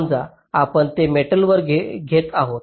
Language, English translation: Marathi, lets take suppose that we are taking it on metal